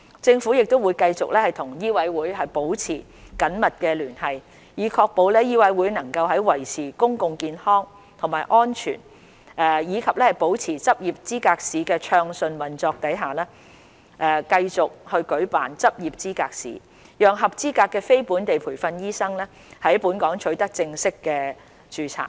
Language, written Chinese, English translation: Cantonese, 政府會繼續與醫委會保持緊密聯繫，以確保醫委會能在維持公共健康和安全及保持執業資格試的暢順運作下，繼續舉辦執業資格試，讓合資格的非本地培訓醫生在本港取得正式註冊。, The Government will maintain close liaison with MCHK to ensure that it will continue to conduct LEs for qualified non - locally trained doctors to obtain full registration in Hong Kong taking into account the need to maintain public health and safety as well as the smooth operation of LE